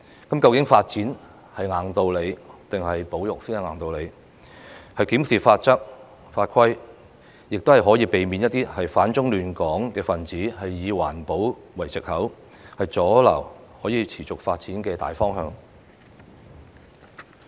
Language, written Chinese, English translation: Cantonese, 究竟發展是硬道理，還是保育才是硬道理？檢視法則和法規，亦可以避免一些反中亂港分子以環保為藉口，阻撓可以持續發展的大方向。, As to whether development is the top priority or conservation is the top priority the Government should examine all the laws and regulations in order to prevent some anti - China and Hong Kong elements from obstructing the overall direction of sustainable development on the pretext of environmental protection